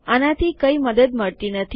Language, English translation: Gujarati, This wont be of much help